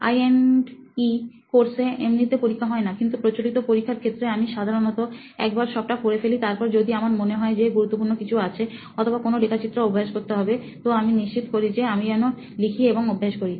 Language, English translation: Bengali, Now in I&E course, there are no exam as such, but initially like the conventional exam mode, I would usually read once and then if I feel something important or if I need to practice any diagrams, I always had a, made it a point to like write and practice